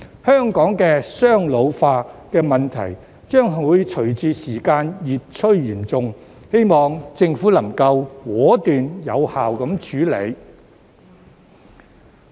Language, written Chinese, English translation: Cantonese, 香港的"雙老化"問題將隨着時間越趨嚴重，希望政府能夠果斷、有效處理。, The problem of double ageing in Hong Kong will become more and more serious with time and I hope that the Government will deal with it decisively and effectively